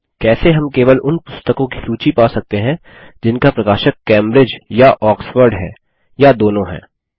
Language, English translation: Hindi, How can we get a list of only those books for which the publisher is Cambridge or Oxford or both